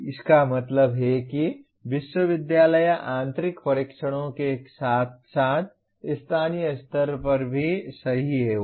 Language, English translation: Hindi, That means the university will set the internal tests as well as, only thing is corrected at locally